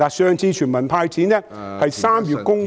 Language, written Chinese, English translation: Cantonese, 上次全民"派錢"是在3月公布......, The previous cash handout for all people was announced in March